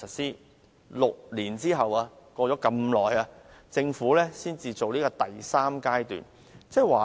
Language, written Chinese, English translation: Cantonese, 在6年後，過了那麼長時間，政府才實施第三階段。, Then six years later after a long gap the Government now implements the third phase